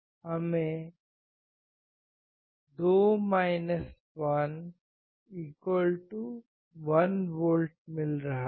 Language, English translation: Hindi, We are getting 2 2=1V